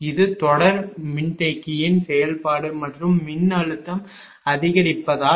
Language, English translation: Tamil, That is the function of series capacitor and as the voltage is increased